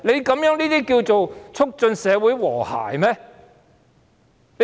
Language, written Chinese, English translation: Cantonese, 這樣能促進社會和諧嗎？, Can social harmony still be maintained?